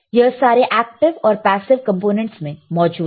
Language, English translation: Hindi, It is present in all active and passive components